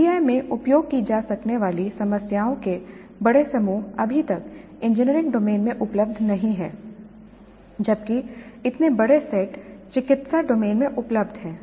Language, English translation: Hindi, Large sets of problems which can be used in PBI are not yet available in engineering domain while such large sets are available in the medical domain